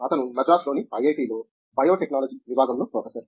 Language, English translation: Telugu, He is a Professor in the Department of Biotechnology, here at IIT, Madras